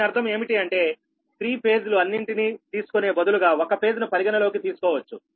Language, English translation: Telugu, instead of considering all the three phases, we can consider only one phase